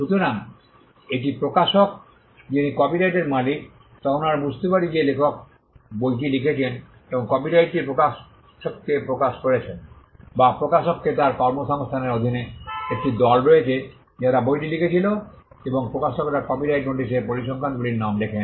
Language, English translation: Bengali, So, when it is the publisher who is the copyright owner then we understand that as a case of the author having written the book and having assigned the copyright to the publisher or the publisher had a team of people under his employment who wrote the book and the publishers name figures in the copyright notice